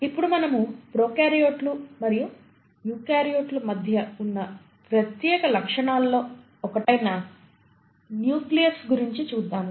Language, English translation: Telugu, So let us go back and look at what are the similarity between prokaryotic and the eukaryotic cells